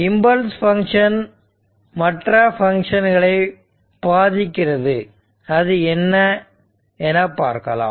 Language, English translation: Tamil, So, impulse function affects other function and to illustrate this, let us evaluate the integral